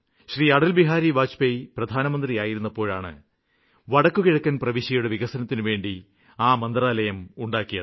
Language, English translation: Malayalam, During the government of Atal Bihari Vajpayee as our Prime Minister, a DONER Ministry called "Development of NorthEast Region" was formed